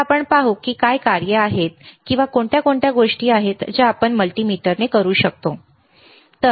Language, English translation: Marathi, Now, we will see what are the functions or what are the things that we can do with a multimeter, all right